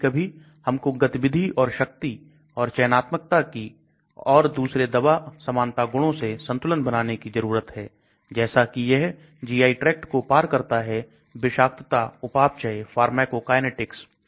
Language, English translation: Hindi, Sometimes we need to take a balance between activity or potency or selectivity as against these other drug likeness properties whether it crosses the GI tract, toxicity, metabolism, pharmacokinetics